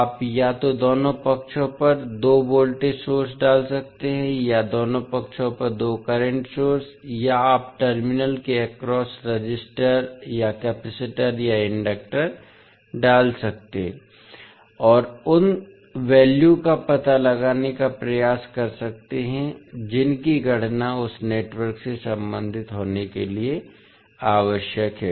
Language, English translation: Hindi, You can either put two voltage sources on both sides or two current sources on both sides, or you can put the resistor or capacitor or inductor across the terminal and try to find out the values which are required to be calculated related to that particular network